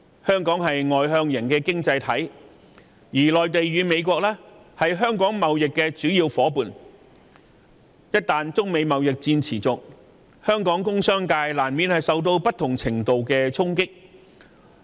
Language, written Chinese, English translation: Cantonese, 香港是外向型經濟體系，內地和美國又是香港的主要貿易夥伴，中美貿易戰一旦持續，香港工商界難免受到不同程度的衝擊。, Given that Hong Kong is an externally - oriented economy with the Mainland and the United States being its major trading partners if the Sino - American trade war goes on local businesses will inevitably suffer to a different degree